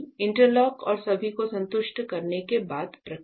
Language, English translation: Hindi, When process after satisfying this interlock and all